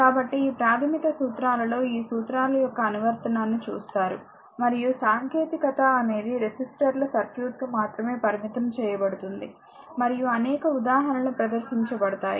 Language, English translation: Telugu, So, in this particularly in that basic law we will see that application of this laws, and the technique will be your what you call restricted to only resistors circuit and several examples are presented